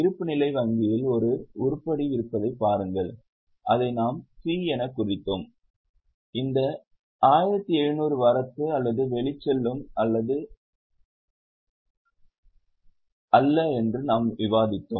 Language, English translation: Tamil, Look here balance sheet may an item that bank which we had marked as C and we had discussed that this 1,700 is not in flow or outflow